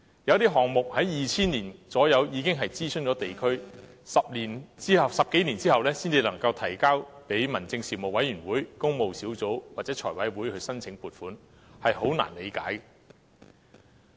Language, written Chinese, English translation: Cantonese, 有項目約在2000年已經諮詢地區，但到10多年後才提交民政事務委員會、工務小組委員會或財務委員會申請撥款，實在難以理解。, Some works projects already underwent district consultation around 2000 . But they were only introduced into the Panel on Home Affairs the Public Works Subcommittee or the Finance Committee for funding approval some 10 years later . This is honestly hard to understand